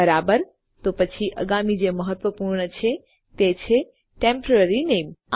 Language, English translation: Gujarati, Right then, the next one which is quite an important one is the temporary name